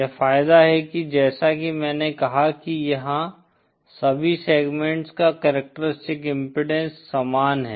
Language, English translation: Hindi, The advantage as I said here is that the characteristic impedance of all the segments are the same